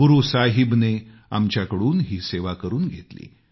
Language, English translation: Marathi, Guru Sahib awarded us the opportunity to serve